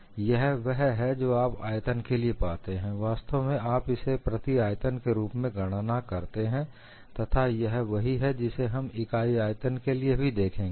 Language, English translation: Hindi, So, this is all you get for volume, per volume you are actually calculating it, and also we will look at for a unit volume